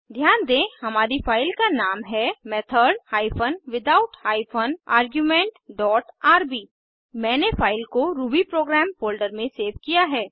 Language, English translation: Hindi, Please note that our filename is method hyphen without hyphen argument dot rb I have saved the file inside the rubyprogram folder